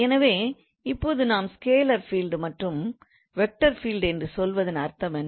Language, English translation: Tamil, So, scalar field and vector field